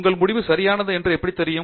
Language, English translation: Tamil, How do you know that your results are right